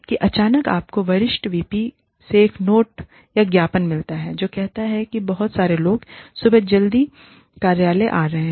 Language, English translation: Hindi, And, then suddenly, you get a note or a memo, from the Senior VP, who says, too many people are coming to office, very early in the morning